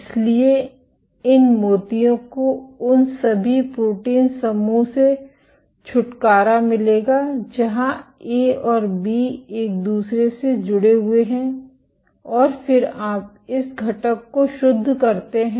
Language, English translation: Hindi, So, these beads will collect get rid of all those protein aggregates where A and B are attached to each other and then you purify this component